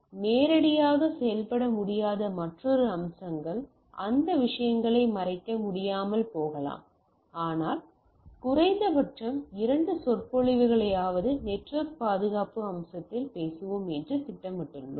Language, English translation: Tamil, Another aspects which come into play though it not directly may not be possible to do cover those things, but what we plan that at least one if possible two lectures we will talk on network security aspect right